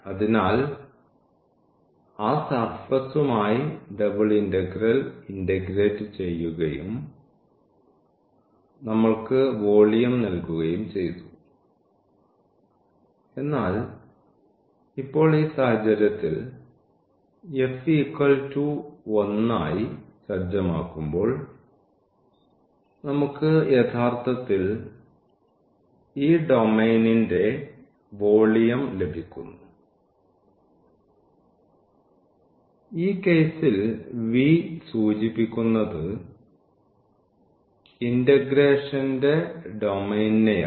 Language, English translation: Malayalam, So, the double integral with that integrand that surface and was giving us the volume but, now in this case when we set this f to 1 then we are getting actually the volume of this domain there; the domain of the integration which is denoted by V in this case